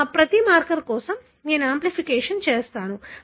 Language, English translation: Telugu, For every marker, I have done the amplification